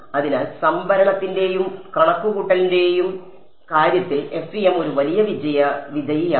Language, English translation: Malayalam, So, both in terms of storage and computation FEM is a big winner